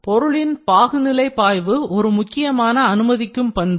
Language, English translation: Tamil, So, viscous flow of the material is one of the enabling features